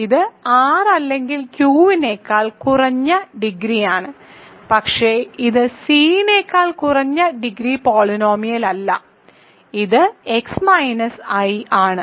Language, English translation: Malayalam, And it is the least degree over R or Q, but it is not the least degree polynomial over C it is simply x minus i ok